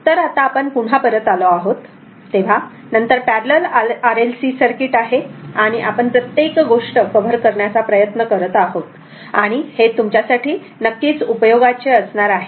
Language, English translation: Marathi, So next we we are back again, so, next parallel RLC circuit right, look whenever making it trying to cover each and everything, it will be it will be helpful for you right